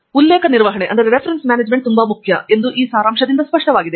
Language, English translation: Kannada, The reason why reference management is very important is evident from this summary